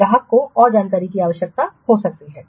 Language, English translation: Hindi, So, the customer may need further information